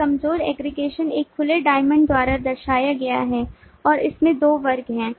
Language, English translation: Hindi, weak aggregation is represented by an open diamond and has two classes